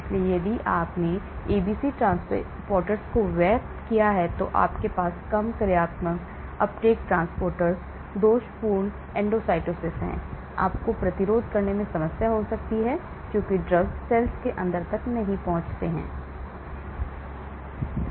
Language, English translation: Hindi, So, if you have over expressed ABC transporters , you have fewer functional uptake transporters, defective endocytosis, so you could have problems leading to resistance because drugs do not penetrate and reach the inside of the cell